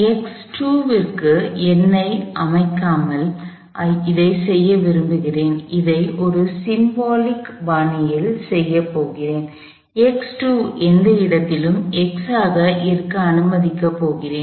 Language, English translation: Tamil, I want to do this without setting a number for x 2, I am going to do this in a symbolic fashion, I am going to let x 2 be any location x